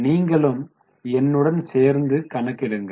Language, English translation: Tamil, So, please calculate it along with me